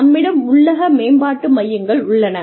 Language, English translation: Tamil, We have in house development centers